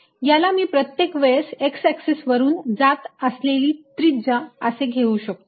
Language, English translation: Marathi, i can always take this radius to be along the x axis